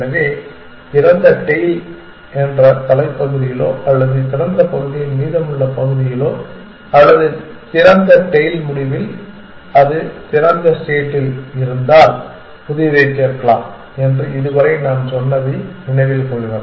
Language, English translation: Tamil, So, remember that so far we said that we can either add new at the head of the tail of open or the remaining part of open or at the end of the tail of open if it was at the head of open, it was like stack if it was tail of open, it was like a queue